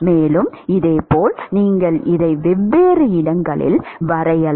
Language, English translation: Tamil, And, similarly you can draw this at different locations